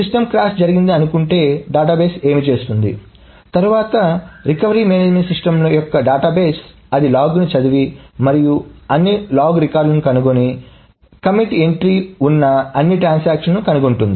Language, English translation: Telugu, What does the database do, then the database or the recovery management system, it reads through the log and finds out all the log records and finds out all the transactions for which there is a commit entry, commit T entry